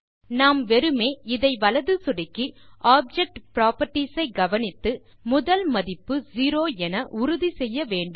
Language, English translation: Tamil, We just have to modify this by right clicking and checking on object properties and making sure the first value zero appears here and press close